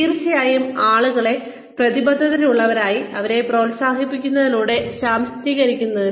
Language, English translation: Malayalam, And of course, for empowering people, by encouraging them to commit